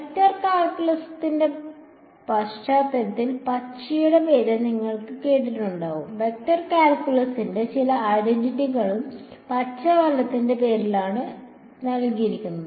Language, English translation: Malayalam, You would have heard the name of green in the context of vector calculus some identities of vector calculus are named after green right